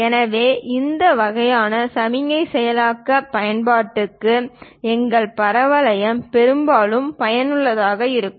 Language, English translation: Tamil, So, our parabolas are majorly useful for this kind of signal processing applications